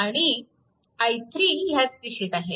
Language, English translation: Marathi, And i 3 is equal to 1